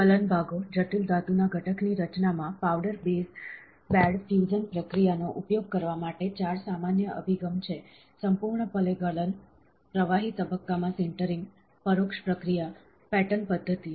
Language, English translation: Gujarati, Melting parts, there are 4 common approaches for using powder bed fusion process in the creation of the complex metal component, fully melt, liquid phase sintering, indirect processing, pattern methods